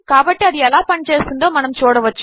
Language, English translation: Telugu, So we can see how this works